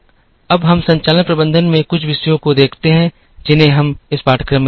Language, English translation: Hindi, Now, we look at some topics in operations management that we will be looking at in this course